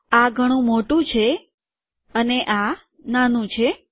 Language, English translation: Gujarati, This is a lot bigger and this is smaller